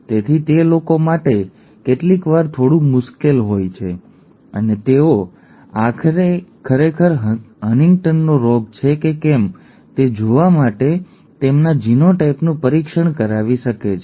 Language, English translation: Gujarati, So it is sometimes a little difficult for the people and they could actually have their genes genotype tested to say whether they to see whether they have HuntingtonÕs disease